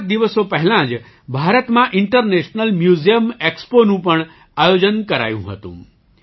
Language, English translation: Gujarati, A few days ago the International Museum Expo was also organized in India